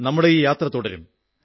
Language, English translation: Malayalam, But our journey shall continue